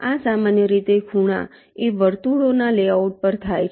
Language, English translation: Gujarati, this typically occurs at the corners of the layout circles